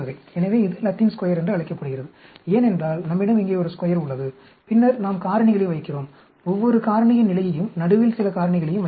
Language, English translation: Tamil, So, this called a Latin Square, because, we have a square here, and then, we put in the factors, the levels of each of the factor, and in the middle also, we can put in some factors